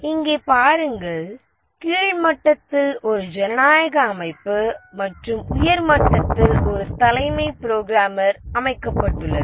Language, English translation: Tamil, See here there is a democratic setup at the bottom level and a chief programmer setup at the top level